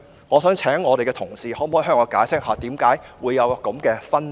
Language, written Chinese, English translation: Cantonese, 我想請同事向我解釋為何會有這分別。, I would like to invite colleagues to explain such a difference to me